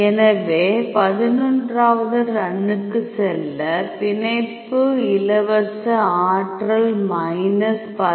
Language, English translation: Tamil, So, go to 11th run 11, you can see here the binding free energy is minus 10